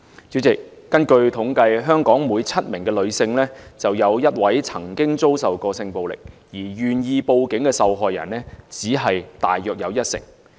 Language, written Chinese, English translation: Cantonese, 主席，根據統計，香港每7名女性便有1位曾經遭受性暴力，而願意報警的受害人大約只有一成。, President according to the statistics one in seven women living in Hong Kong has been victimized by sexual violence but only about 10 % of these victims are willing to report their cases to the Police